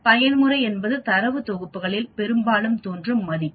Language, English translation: Tamil, Mode is the value that appears most often in data sets